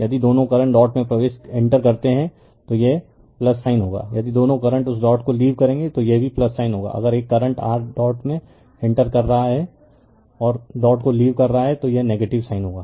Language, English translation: Hindi, If both current enters the dot it will be plus sign if both current will leave that dot there also it will be plus sign if one current entering the your dot and leaving the dot they it will be negative sign right